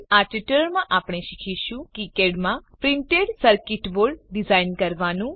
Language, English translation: Gujarati, In this tutorial we will learn, To design printed circuit board in KiCad